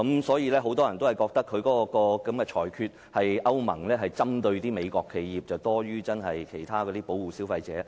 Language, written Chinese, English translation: Cantonese, 所以，很多人覺得歐盟的裁決是針對美國企業多於真正保護消費者。, That is why many people think that this European Union decision actually aims to pick on American enterprises rather than truly protecting consumers